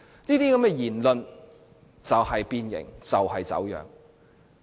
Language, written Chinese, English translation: Cantonese, 這些言論就是變形，就是走樣。, This kind of remark is distortion and deformation